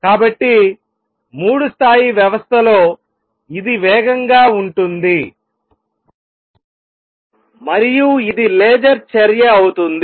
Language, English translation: Telugu, So, in a three level system this is fast and this is going to be laser action